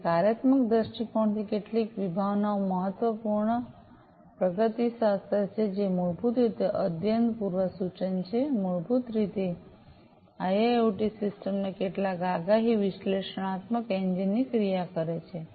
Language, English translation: Gujarati, So, from a functional viewpoint few concepts are important prognostics, which is basically the act prognostics, basically is the action of some predictive analytics engine of the IIoT system